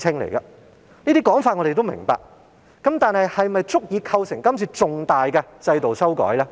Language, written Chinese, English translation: Cantonese, 我們明白有這種情況，但是否足以構成今次重大的制度修改呢？, We understand that such cases are present but is it sufficient to constitute a cause for introducing material changes in the system?